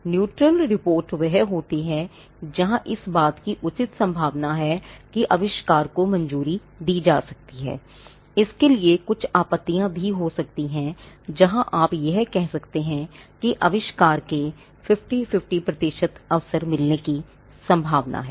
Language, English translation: Hindi, The neutral report is where there is a fair chance that the invention can be granted, they could also be some objections to it where it is a you could say a 50 50 percent chance of the invention getting granted